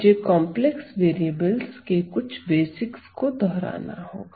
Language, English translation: Hindi, So, let me just revise some complex variables basics